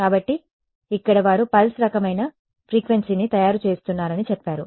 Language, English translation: Telugu, So, here they say they are making a pulse kind of a frequency